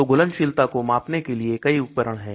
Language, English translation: Hindi, So there are many tools for measuring solubility